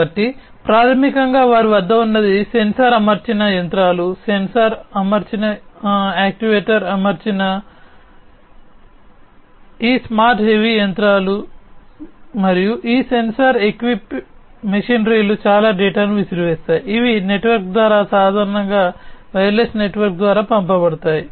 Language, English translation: Telugu, So, so, basically what they have is sensor equipped machinery, these smart you know heavy machinery that they have they, they are sensor equipped actuator equipped and so on these sensor equip machinery throw in lot of data which are sent through a network typically wireless network